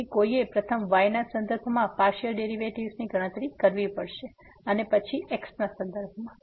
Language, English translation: Gujarati, So, one has to first compute the partial derivative with respect to and then with respect to